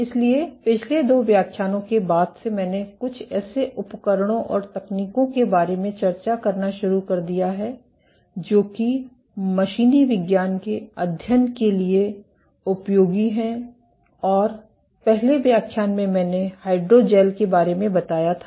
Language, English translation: Hindi, So, since the last two lectures I have started discussing of some of the tools and techniques that are useful for studying mechanobiology and in the first lecture I introduced about hydrogels